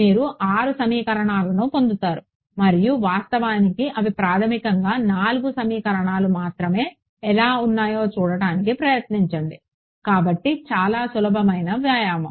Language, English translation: Telugu, You will get 6 equations and try to see how you actually they are basically only 4 equations, so very simple exercise